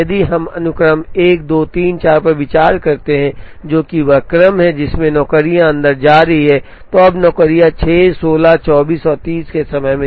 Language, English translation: Hindi, So, if we consider the sequence 1 2 3 4, which is the order, in which the jobs are going inside, now the jobs come out at time 6, 16, 24 and 30